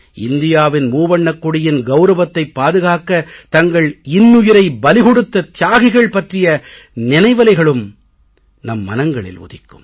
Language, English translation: Tamil, It is also natural that we remember our Jawans who sacrificed their lives to maintain the pride and honour of our Tricolor Flag